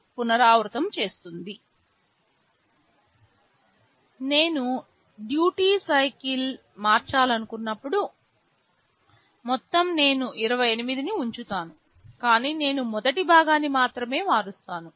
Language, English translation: Telugu, When I want to change the duty cycle, the total I will keep 28, but only I will be changing the first part